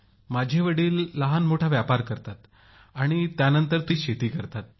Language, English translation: Marathi, Yes my father runs a small business and after thateveryone does some farming